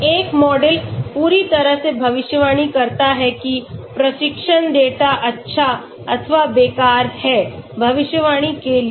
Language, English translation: Hindi, A model perfectly predict training data may be not good or even useless for prediction